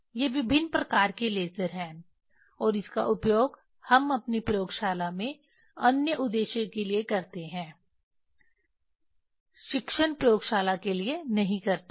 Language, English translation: Hindi, These are the different kind of laser and this we use in our laboratory not for teaching laboratory for other purpose